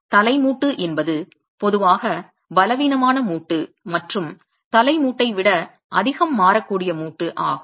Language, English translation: Tamil, So, the head joint is typically a weaker joint and more variable a joint than the head, than the head joint